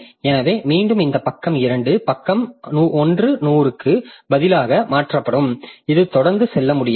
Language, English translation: Tamil, So again this page 2 will be replaced by page 100 and this will go on this will go on doing that thing so I will not be able to proceed